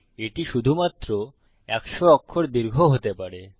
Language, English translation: Bengali, It can only be a 100 characters long